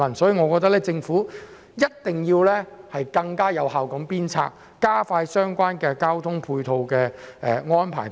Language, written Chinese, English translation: Cantonese, 因此，我認為政府必須更有效地加快處理相關交通配套安排。, Therefore I consider it important for the Government to make the relevant transport arrangements in a more effective and efficient manner